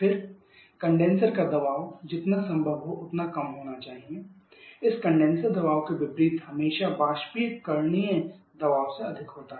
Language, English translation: Hindi, Then the condenser pressure should be as low as possible and just opposite to this condenser pressure is always higher than evaporator pressure